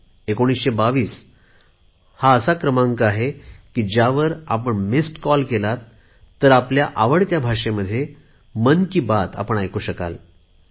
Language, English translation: Marathi, This 1922 is one such number that if you give a missed call to it, you can listen to Mann Ki Baat in the language of your choice